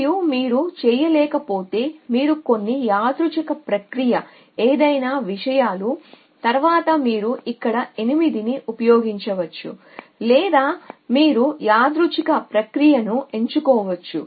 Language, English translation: Telugu, And if you cannot then you to result to some 10 of random process any things next so either you can u use 8 here or you can choose random process